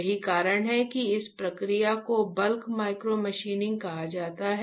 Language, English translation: Hindi, That is why this process is called bulk micromachining alright